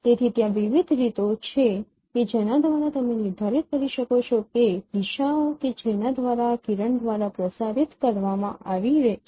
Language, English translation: Gujarati, So, there are various ways by which you can determine what what is the directions by which this particular along which this ray has been transmitted